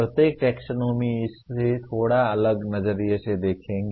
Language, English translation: Hindi, Each taxonomy will look at it from a slightly different perspective